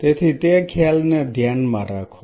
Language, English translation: Gujarati, So, keep that concept in mind